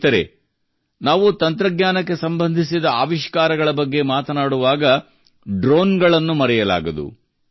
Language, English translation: Kannada, Friends, when we are talking about innovations related to technology, how can we forget drones